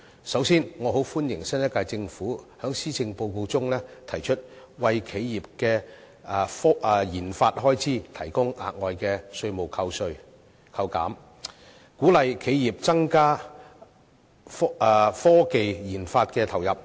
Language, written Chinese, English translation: Cantonese, 首先，我很歡迎新一屆政府在施政報告中提出為企業的研發開支提供額外的稅務扣減，鼓勵企業增加科技研發的投入。, First I very much welcome the new - term Government proposing in the Policy Address the provision of enhanced tax deduction for the research and development RD expenditure incurred by enterprises to encourage the latter to increase their injections into technological research and development